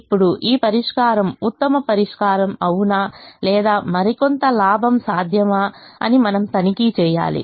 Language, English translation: Telugu, now we need to check whether this solution is the best solution or weather some more gain is possible